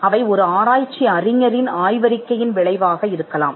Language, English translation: Tamil, They may result from a thesis of a research scholar